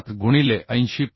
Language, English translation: Marathi, 7 into 8 0